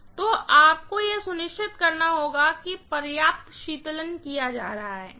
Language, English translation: Hindi, So, you might have to make sure that adequate cooling is being done